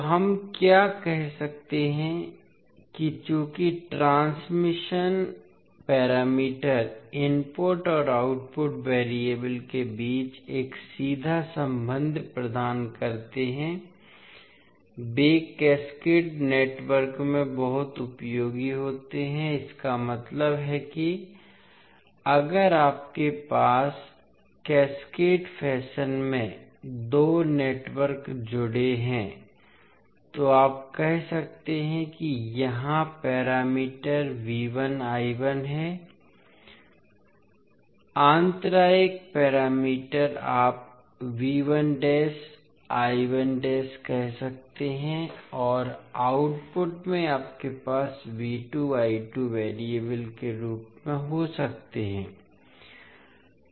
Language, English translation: Hindi, So, what we can say that since the transmission parameters provides a direct relationship between input and output variables, they are very useful in cascaded networks that means if you have two networks connected in cascaded fashion so you can say that here the parameters are V 1 I 1, intermittent parameters you can say V 1 dash I 1 dash and output you may have V 2 and I 2 as the variables